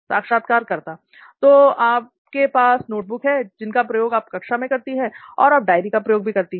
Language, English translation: Hindi, So you have notebooks that you use in class and you have a diary that you use